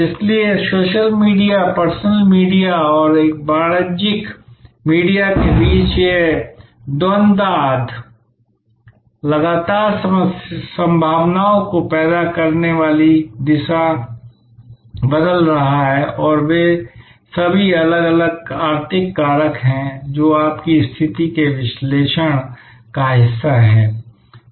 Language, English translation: Hindi, So, this dichotomy between or the tussle between social media, personal media and a commercial media may constantly changing direction giving possibilities creating possibilities and those are all the different economic factors, that is part of your situation analysis